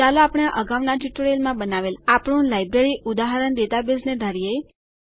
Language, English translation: Gujarati, Let us consider the Library example database that we built in our previous tutorials